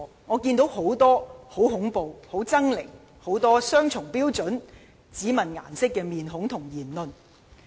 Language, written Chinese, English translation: Cantonese, 我看到很多很恐怖、很猙獰的面孔，很多雙重標準，很多只問顏色的言論。, As I can see there are many ugly and horrible faces who adopt double standards and whose remarks are only based on political colours